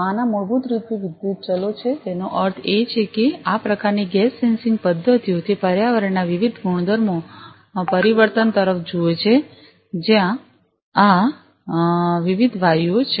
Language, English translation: Gujarati, These one’s basically are the electrical variants; that means, that these type of gas sensing methods like this one’s, they look at the change in the electrical properties of the environment where these different gases are